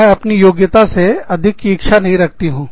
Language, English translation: Hindi, I do not want to get more than, i deserve